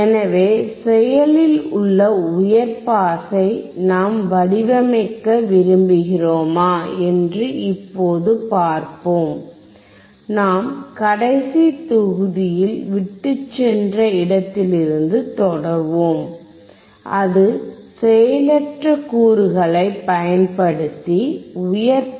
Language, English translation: Tamil, So, let us now see if we want to design, active high pass we continue where we have left in the last module, and that was high pass filter using passive components